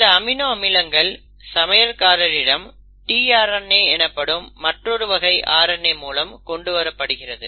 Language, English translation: Tamil, And these amino acids are brought to the chef; they are ferried to the chef by another class of RNA which is called as the tRNA